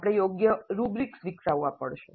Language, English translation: Gujarati, We have to develop suitable rubrics